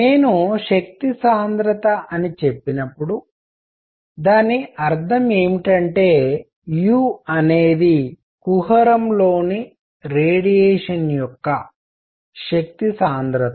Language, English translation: Telugu, And when I say energy density I mean u is the energy density of radiation in the cavity